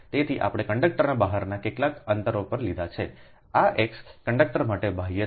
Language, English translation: Gujarati, so we have taken at its some distance x external to the conductor